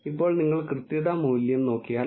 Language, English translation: Malayalam, Now, if you look at the accuracy value it is 0